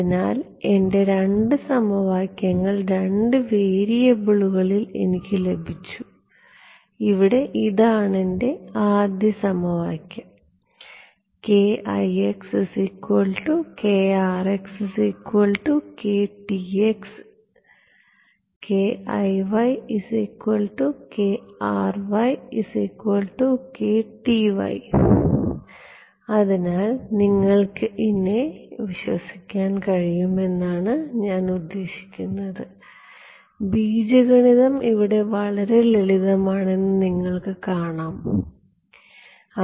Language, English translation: Malayalam, So, I have got my 2 equations in 2 variables right, this was my first equation over here, where did go yeah this was my first equation, this is my second equation over here all right